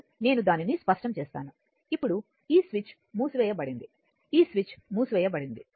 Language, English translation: Telugu, Now, let me clear it, now this switch is closed this switch is closed right